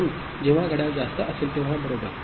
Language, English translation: Marathi, So, whenever the clock is high, right